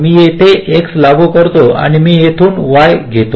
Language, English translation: Marathi, i apply x here and i take y from here